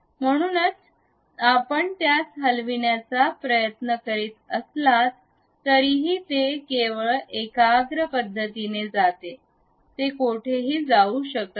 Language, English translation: Marathi, So, even if you are trying to move that one, this one goes only in the concentric way, it cannot go anywhere